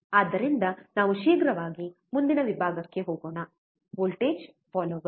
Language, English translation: Kannada, So, let us quickly move to the next section: Voltage follower